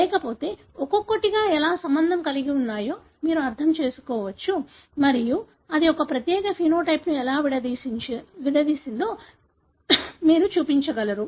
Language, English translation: Telugu, Otherwise, in one go you can understand how each one is related and you will be able to show a particular phenotype how it is segregated